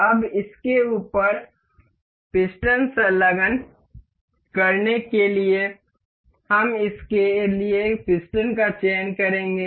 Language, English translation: Hindi, Now, to attach the piston over it, we will select the piston for this